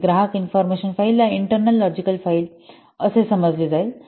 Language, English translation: Marathi, So, customer info file will be an internal logical file